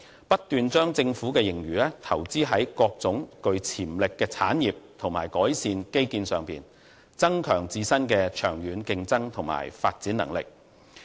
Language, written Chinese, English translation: Cantonese, 新加坡政府不斷把盈餘投資於各種具潛力的產業和基建改善，增強自身的長遠競爭和發展能力。, The Singaporean Government has been investing in different industries with potential and making infrastructural improvement with its fiscal surplus to strengthen its long - term competitiveness and development capacity